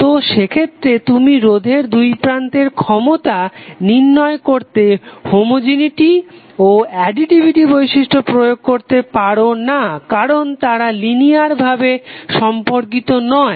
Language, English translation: Bengali, So in that case you cannot apply the homogeneity and additivity property for getting the power across the resistor because these are not linearly related